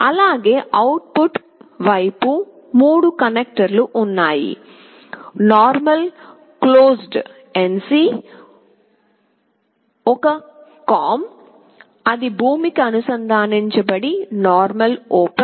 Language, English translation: Telugu, On the output side you see there are 3 connectors, normally closed , a common , which is connected to ground and normally open